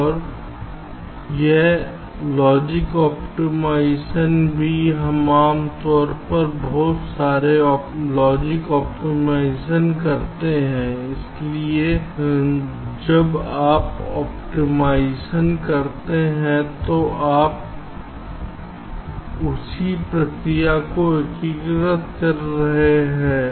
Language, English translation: Hindi, we usually do a lot of optimization, so when you do optimization, can you integrate the same process within that